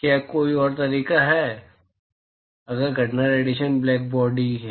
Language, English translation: Hindi, Is there any other way, if the incident irradiation is black body